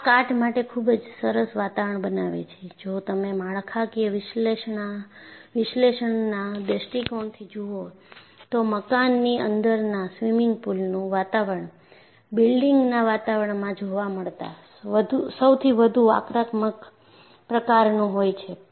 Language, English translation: Gujarati, So, this creates a very nice atmosphere for corrosion and if you look at from structural analysis point of view, the atmosphere of indoor swimming pools is one of the most aggressive to be found in a building environment